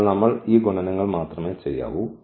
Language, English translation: Malayalam, So, we have to only do these multiplications